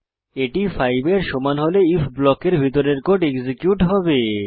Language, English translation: Bengali, When it is equal to 5, the code within the if block will get executed